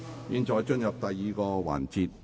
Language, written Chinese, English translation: Cantonese, 現在進入第二個環節。, We now proceed to the second session